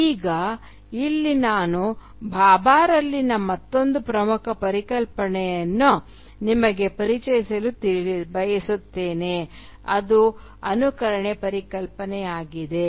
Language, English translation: Kannada, Now, here I would like to introduce you to another important concept in Bhabha, which is the concept of mimicry